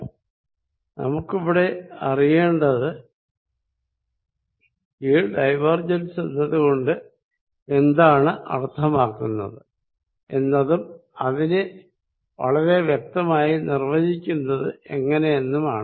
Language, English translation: Malayalam, What we want to get a view of what a feeling for what this divergence means and define it and in a very, very precise manner